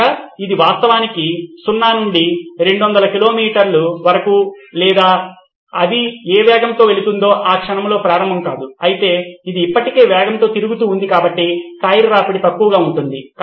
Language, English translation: Telugu, So it does not actually start from 0 to 200 kilometre or whatever speed it is going at, at that moment but it is already at a rotating speed so the tyre ware is minimal